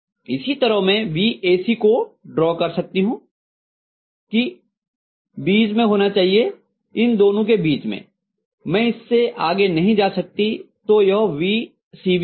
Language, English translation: Hindi, Similarly, I should be able to draw VAC which should be mid, in between these two, I can’t go beyond this, so this is will be VCB, okay